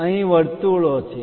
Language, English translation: Gujarati, Here there are circles